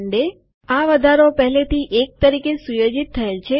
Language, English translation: Gujarati, The increment is already set as 1